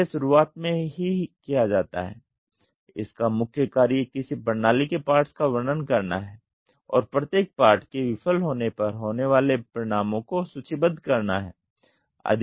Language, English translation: Hindi, So, that is done at the beginning itself, the basic method is to describe the parts of a system and list the consequences if each part fails